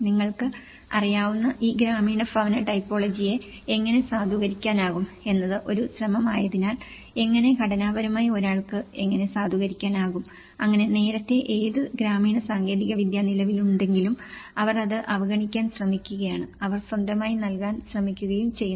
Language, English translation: Malayalam, And because it is an effort how one can validate these rural housing typology which are already existing you know, so how structurally one can validate how, so that earlier whatever the rural technology exists, they try to ignore it and they try to give their own uniform and standardized solution but this is an effort, how we can bring that local character still and how we can validate those techniques